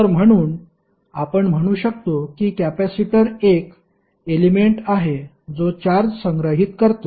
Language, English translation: Marathi, So, therefore you can say that capacitor is an element which stores charges